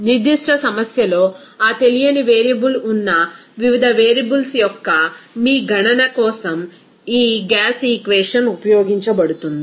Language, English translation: Telugu, This gas equation to be used for your calculation of the different variables where that unknown variable will be there in specific problem